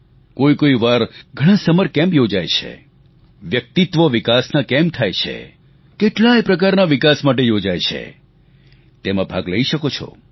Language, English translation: Gujarati, Sometimes there are summer camps, for development of different facets of your personality